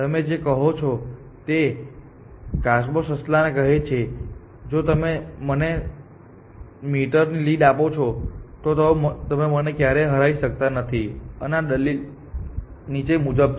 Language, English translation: Gujarati, That you say that the diabet, the tortoise tells the rabbit that i if you give me a lead of let us 100 meters then you can never beat me in the race and this argument is the following